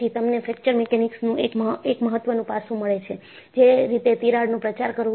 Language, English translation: Gujarati, You will find one of the important aspects in Fracture Mechanics is, in which way the crack will propagate